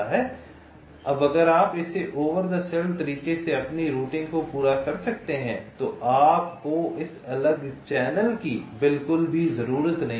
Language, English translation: Hindi, now, if you can complete your routing means in this way, over the cell manner, then you do not need this separate channel at all